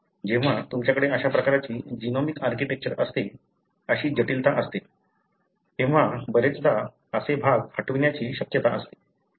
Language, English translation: Marathi, When you have such kind of genomic architecture, such complexity, then more often, such regions are more prone for deletion, right